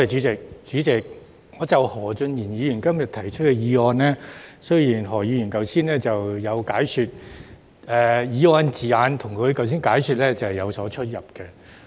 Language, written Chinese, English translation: Cantonese, 主席，就何俊賢議員今天提出的議案，雖然何議員今天有作解說，但議案措辭跟他剛才的解說有所差異。, Regarding the motion proposed by Mr Steven HO today President for all that he has given an explanation today but there are indeed discrepancies between the wording of the motion and the explanation he has just given